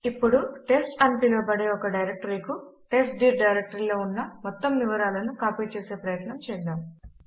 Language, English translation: Telugu, Let us try to copy all the contents of the testdir directory to a directory called test